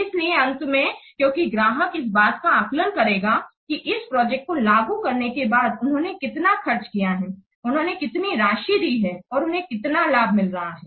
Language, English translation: Hindi, So, because at the end, the client will assess this that after implementing this project, how much they have spent, what cost they have given, how much amount they have given, and how much benefit they are getting